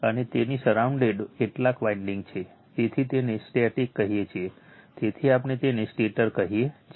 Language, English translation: Gujarati, And surrounded by some winding so you call it is static, so we call it is stator